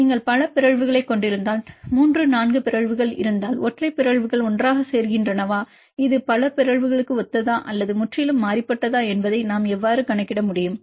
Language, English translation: Tamil, Then you can check the additivity for example, if you have the multiple mutations 3 4 mutations whether the single mutations add up together this is similar to the multiple mutations or is it totally different how can we account that right